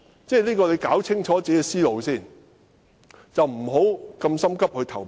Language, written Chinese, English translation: Cantonese, 他要先弄清楚自己的思路，不要急於投票。, Mr TSE must first sort out his thoughts and should not rush into voting